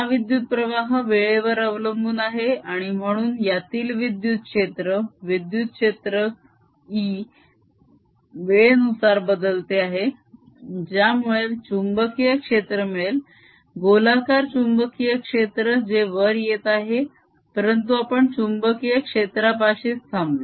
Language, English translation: Marathi, this current is time dependent and therefore electric field in between, electric field in between e changes the time which gives rise to a magnetic field, circular magnetic field which is coming up